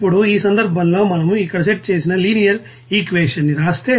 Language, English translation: Telugu, Now in this case if we write that you know linear equation set here